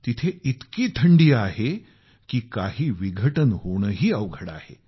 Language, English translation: Marathi, It is so cold there that its near impossible for anything to decompose